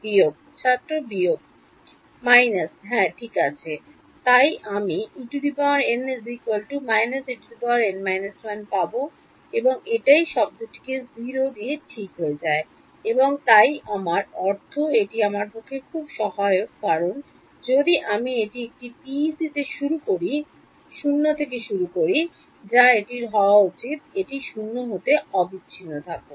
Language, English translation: Bengali, Minus yeah right, so I will get E n is equal to minus E n minus 1 and that is it the term goes to 0 alright and so that I mean that is very helpful for me because if I initialize it at 0 on a PEC which is what it should be it continuous to be 0